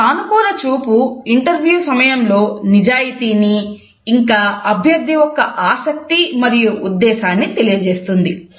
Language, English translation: Telugu, A positive eye contact during interviews exhibits honesty as well as interest and intentions of the candidate